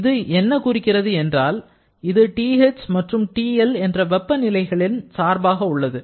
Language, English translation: Tamil, That means this has to be a function of these 2 temperatures TH and TL